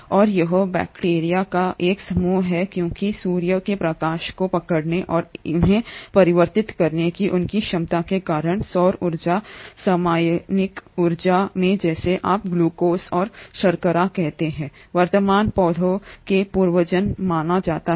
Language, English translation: Hindi, And it is these group of bacteria, because of their ability to capture sunlight and convert that solar energy into chemical energy which is what you call as the glucose and sugars are believed to be the ancestors of the present day plants